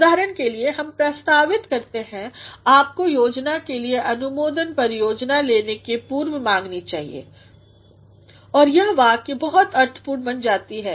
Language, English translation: Hindi, For example, we suggest that you should seek prior approval of the plan before undertaking the project and the sentence becomes very meaningful